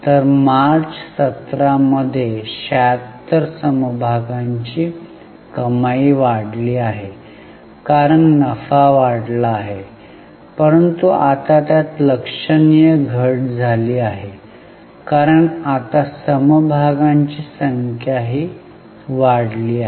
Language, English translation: Marathi, So, 76, the earning per share has increased in March 17 because the profits have gone up but now it has significantly decreased because number of shares have also increased now